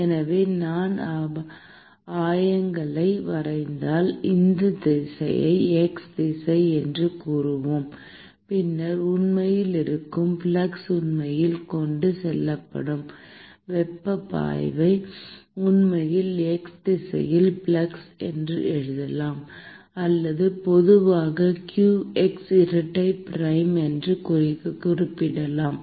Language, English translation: Tamil, So, suppose if I draw coordinates; and let us say that this direction is x direction, then the flux that is actually flux of heat that is actually transported can actually be written as flux in the x direction or generally referred to as qx double prime